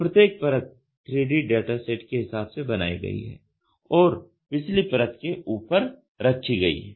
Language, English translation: Hindi, So, each layer is contoured according to the corresponding 3 dimensional data set and put on to the top of the preceding one